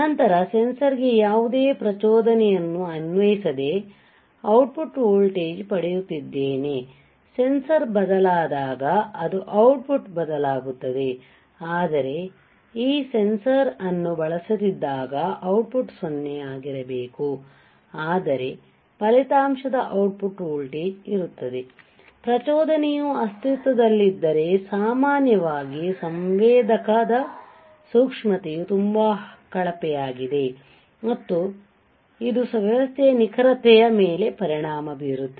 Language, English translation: Kannada, Then without applying any stimulus to the sensor the output voltage we are getting some kind of output voltage right, when the sensor changes it is value the output will change, but when I am not using this sensor at all the output should be 0, but I will see that there is an resultant output voltage, the system may understand that stimulus exist, generally the sensitivity of the sensor is very poor and hence it affects the accuracy of the system right